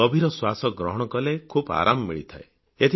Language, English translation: Odia, Deep breathing during these times is very beneficial